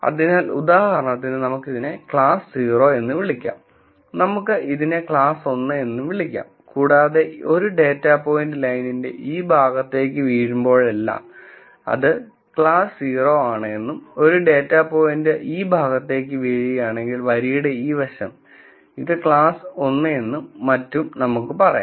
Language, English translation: Malayalam, So, let us call this for example, we could call this class 0 we could call this class 1 and, we would say whenever a data point falls to this side of the line, then it is class 0 and if a data point falls to this side of the line, we will say it is class 1 and so on